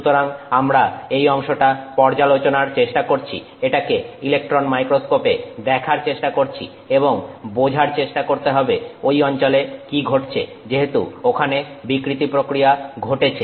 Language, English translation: Bengali, So, we want to explore that area and see that in the electron microscope and try to understand what is happening in that area as the deformation process happens